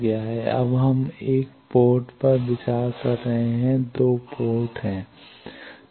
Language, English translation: Hindi, Now, we are considering 1 port there are 2 ports